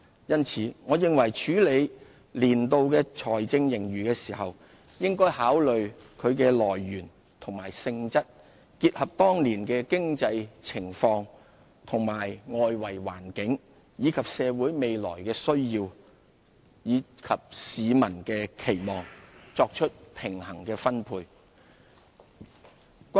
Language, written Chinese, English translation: Cantonese, 因此，我認為處理年度盈餘的時候，應考慮其來源和性質，結合當年的經濟情況和外圍環境，以及社會未來的需要和市民的期望，作出平衡的分配。, So in my view in considering how our annual surplus is to be deployed we should take into account the source and nature of the surplus alongside the prevailing economic situation and external environment the future needs of society and the expectations of the community so as to ensure optimal allocation of resources